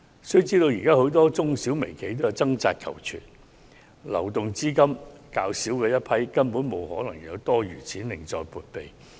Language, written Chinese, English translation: Cantonese, 須知現時很多中小企及微型企業均在掙扎求存，流動資金較少，根本沒可能有多餘資金另作撥備。, We have to bear in mind that many SMEs and micro enterprises are now struggling hard to operate their businesses with little liquidity and it is simply impossible for them to have spare funds for this purpose